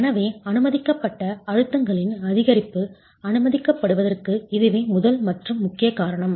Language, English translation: Tamil, So that is the first and probably the foremost reason why increase in permissible stresses is allowed